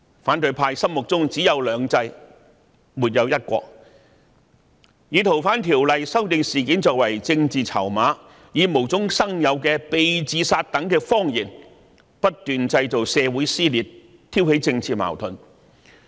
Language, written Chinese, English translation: Cantonese, 反對派心目中只有"兩制"，沒有"一國"，他們以修訂《逃犯條例》一事作為政治籌碼，以無中生有的"被自殺"等謊言不斷製造社會撕裂，挑起政治矛盾。, In the minds of the opposition camp there is only two systems no one country . They use the FOO amendment as a political chip . They made up lies like being suicided to create social rifts and stir up political conflicts